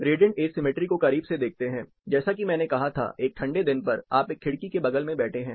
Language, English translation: Hindi, Taken closer look at radiant asymmetry, like I said, on a colder day, you are sitting next to a wind